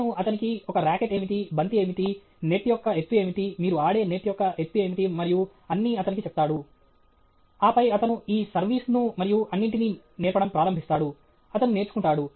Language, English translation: Telugu, He will tell him what is the racket, what is a ball, what is the height of the net, what is the height of the net at which you play and all that, and then he will start returning this serve and all, that he will learn